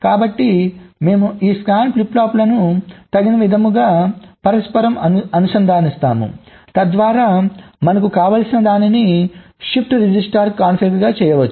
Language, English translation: Telugu, ok, so we interconnect this scan flip flops in a suitable way so that we can configure it as a shift register, if you want